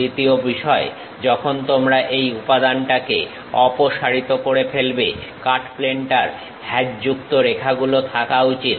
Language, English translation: Bengali, Second thing, when you remove the material through cut plane is supposed to have hatched lines